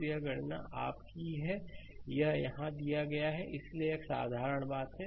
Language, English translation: Hindi, So, that is calculations your; it given here right, so this is a simple things